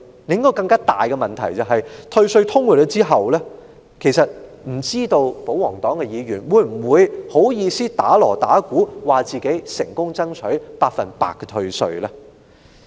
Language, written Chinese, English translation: Cantonese, 另一個更大的問題是，退稅通過後，不知道保皇黨議員會否好意思敲鑼打鼓，自稱成功爭取百分百退稅呢？, Another more important question is after the tax rebate is approved will the royalist Members be bald - faced enough to make a fanfare and claim that they have managed to gain a 100 % tax rebate?